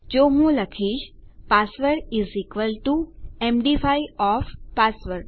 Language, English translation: Gujarati, So I will just say password is equal to md5 of password